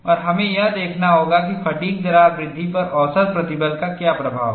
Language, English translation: Hindi, And we will have to see, what is the effect of mean stress on fatigue crack growth